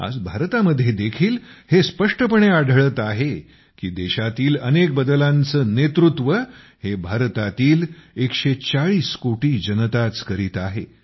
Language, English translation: Marathi, Today, it is clearly visible in India that many transformations are being led by the 140 crore people of the country